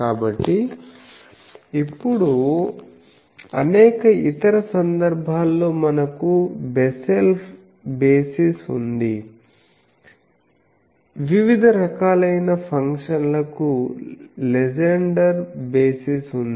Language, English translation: Telugu, So, now in various other cases we have the Bessel basis, we have the Legendre basis for various types of functions